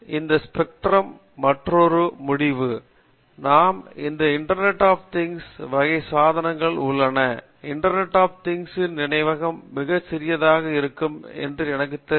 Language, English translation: Tamil, Another end of this spectrum is, we have this IOT type of devices; in the IOT know the memory will be very small